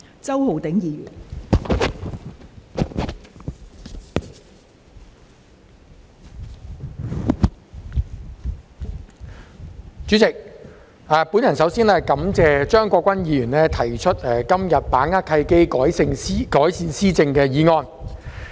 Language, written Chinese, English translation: Cantonese, 代理主席，首先感謝張國鈞議員今天提出"把握契機，改善施政"的議案。, Deputy President first of all I thank Mr CHEUNG Kwok - kwan for moving the motion on Seizing the opportunities to improve governance today